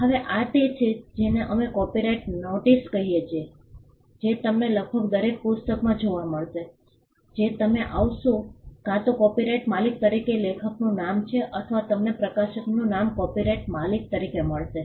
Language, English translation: Gujarati, Now this is what we call a copyright notice which you will find in almost every book that you would come across, either there is the name of the author as the copyright owner or you will find the name of the publisher as the copyright owner